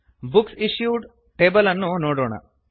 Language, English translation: Kannada, Let us look at the Books Issued table